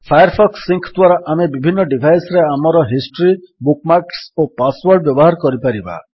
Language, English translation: Odia, Firefox Sync lets us use our history, bookmarks and passwords across different devices